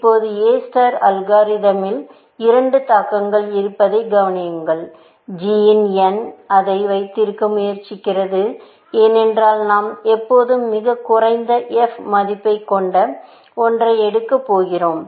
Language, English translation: Tamil, Now, notice that there are two influences on A star algorithm; g of n is trying to keep it, because we always going to pick one with a lowest f value